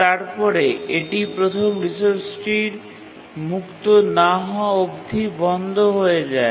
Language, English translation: Bengali, And then it blocks until the first resource is freed